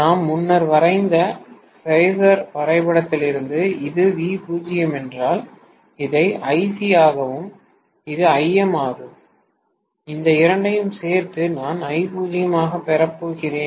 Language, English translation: Tamil, From which and from the phasor diagram we drew earlier, if this is V0, I am going to have actually this as Ic and this as Im and the addition of these two, I am going to get as I0